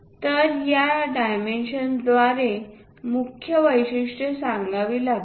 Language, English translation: Marathi, So, main features has to be conveyed through these dimensions